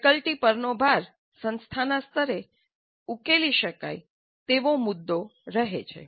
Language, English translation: Gujarati, Load on the faculty remains an issue to be resolved at the institute level